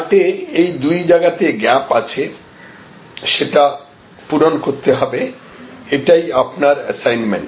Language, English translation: Bengali, So, these are two gaps in this chart that you have to fill and that is your assignment